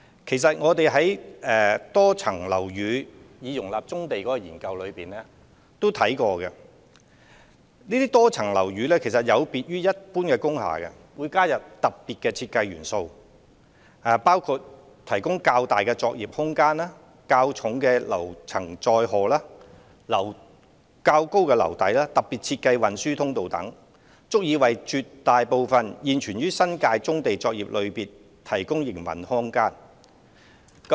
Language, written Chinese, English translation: Cantonese, 其實，我們在以多層樓宇容納棕地作業的研究中曾作出探討，得悉這些多層樓宇有別於一般工廈，會加入特別的設計元素，包括提供較大作業空間、較重樓層載荷、較高樓底、特別設計運輸通道等，足以為絕大部分現有新界棕地作業類別提供營運空間。, As a matter of fact we have examined the issues in the study on the feasibility of using MSBs for accommodating brownfield operations . It is noted that these MSBs are different from ordinary industrial buildings in that the design of the former will incorporate special elements to enable the provision of larger working space higher floor loading higher ceiling height and specially designed delivery passageway so that they can provide sufficient operating space for most of the existing brownfield operations in the New Territories